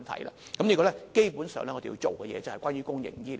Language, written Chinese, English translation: Cantonese, 這方面，基本上，我們要做的就是關於公營醫療。, Basically what we have to deal with are issues relating to the public health care system